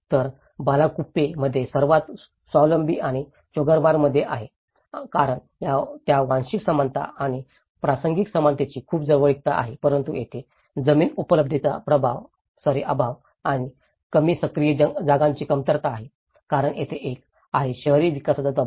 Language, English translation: Marathi, And in Bylakuppe, is the most self sustainable and as well as Choglamsar because it has a great close proximity to the ethnic similarity and the contextual similarity but here, there is a lack of land availability and the less active community spaces because there is a pressure of the urban development as well